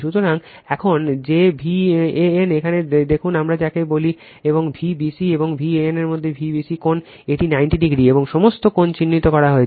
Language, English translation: Bengali, So, now, that V a n see here what we call and V b c angle between V b c and V a n, it is 90 degree right and all angles are marked right